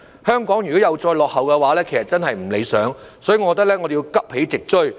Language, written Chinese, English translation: Cantonese, 香港如果又再落後的話，其實真是不理想，所以我認為我們要急起直追。, If Hong Kong is lagging behind again it will really be undesirable . Therefore I think we have to catch up quick